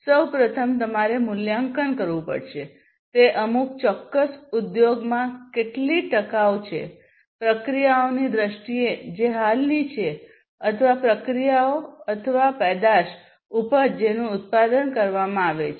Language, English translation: Gujarati, First of all you have to assess how much sustainable that in particular industry is in terms of it is processes that are existing or the processes or the product that is being manufactured